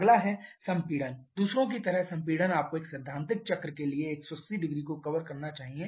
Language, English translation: Hindi, Next is compression, compression like others you should cover 1800 as for a theoretical cycle